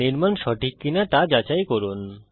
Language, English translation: Bengali, To verify that the construction is correct